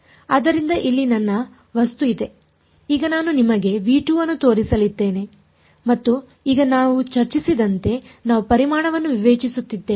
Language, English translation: Kannada, So, here is my object now I am just going to show you v 2 and now as we have discussed we are discretising the volume